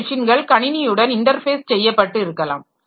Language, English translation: Tamil, So, there may be some machine which is interfacing with the computer system